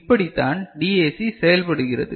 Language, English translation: Tamil, So, this is how your DAC works